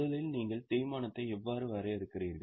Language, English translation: Tamil, First of all, how do you define depreciation